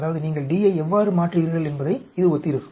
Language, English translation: Tamil, That means this will correspond to how you change D